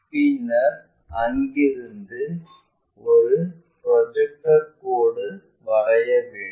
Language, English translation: Tamil, And, then we require a projector line in this way